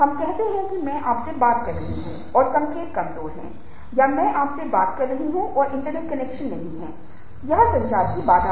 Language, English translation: Hindi, let us say that i am talking to you and the signals are weak or i am talking to you, the internet internet connection is not there